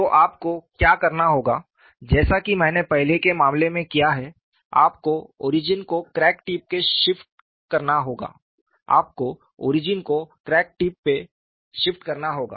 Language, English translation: Hindi, So, what you will have to do is like we have done in the earlier cases, you have to shift the origin to the crack tip